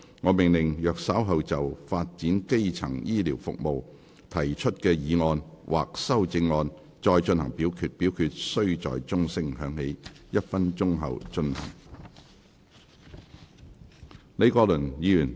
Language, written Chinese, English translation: Cantonese, 我命令若稍後就"發展基層醫療服務"所提出的議案或修正案再進行點名表決，表決須在鐘聲響起1分鐘後進行。, I order that in the event of further divisions being claimed in respect of the motion on Developing primary healthcare services or any amendments thereto this Council do proceed to each of such divisions immediately after the division bell has been rung for one minute